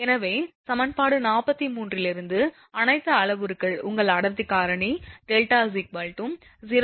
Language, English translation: Tamil, So, all parameters from equation 43, your density factor delta is 0